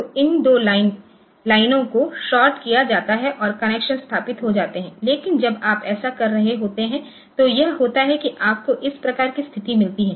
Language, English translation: Hindi, So, these 2 lines get sorted and we the connection gets established, but when you are doing this what happens is that you get this type of situation that is the